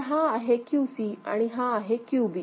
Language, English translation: Marathi, So, this is your QC and this is your QB